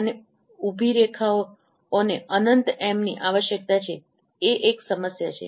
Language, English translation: Gujarati, And vertical lines required infinite M